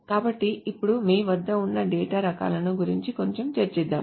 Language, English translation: Telugu, So now let us discuss a little bit about the data types that you have